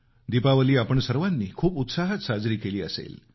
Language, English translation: Marathi, All of you must have celebrated Deepawali with traditional fervour